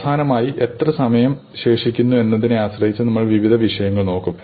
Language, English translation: Malayalam, And finally, depending on how much time is left we will look at some miscellaneous topics